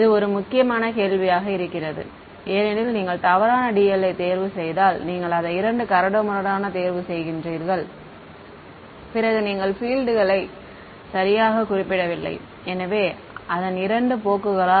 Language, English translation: Tamil, That seems to be an important question right because if you choose the wrong dl, if you choose it to be two coarse then you are not a you are not representing the fields correctly its two course